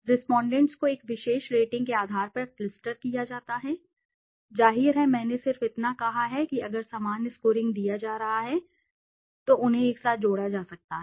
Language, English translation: Hindi, The respondents can be clustered based on a attribute rating; obviously I just said that if similar scoring is being given then they can be clustered together